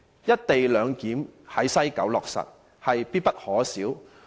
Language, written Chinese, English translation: Cantonese, 因此，落實在西九"一地兩檢"，必不可少。, Therefore it is imperative that the co - location arrangement be implemented at West Kowloon Station